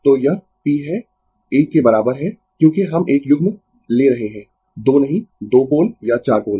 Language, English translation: Hindi, So, it is p is equal to 1 because we are taking of a pair, not 2, 2 pole or 4 pole